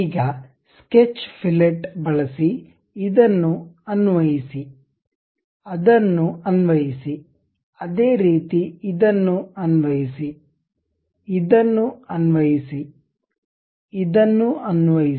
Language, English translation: Kannada, So, now use sketch fillet, apply this, apply that; similarly apply that, apply this one, this one